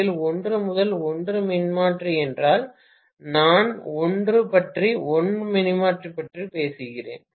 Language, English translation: Tamil, If it is 1 is to 1 transformer, I am talking about 1 is to 1 transformer